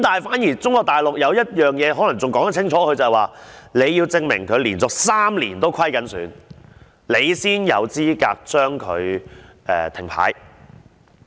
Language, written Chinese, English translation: Cantonese, 反而中國大陸對此事可能說得更清楚，就是當局要證明這些公司連續3年都是虧損，才可以將它停牌。, On the contrary Mainland China might have spelt that out clearly . That is the authorities have to prove that these companies have been losing money for three years in a row before a suspension order can be issued